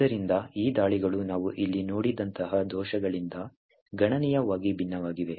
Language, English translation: Kannada, So, these attacks differ quite considerably from the bugs like what we have seen over here